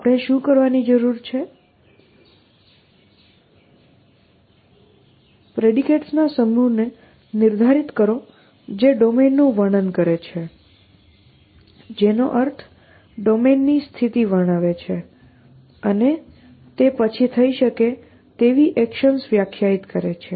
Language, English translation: Gujarati, What we will need to do is, define a set of predicates which describe the domain which means describe the states of the domain and then define the actions which can be done essentially